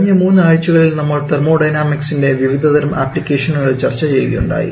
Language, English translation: Malayalam, Now over last week we have discussed about several application of Thermodynamics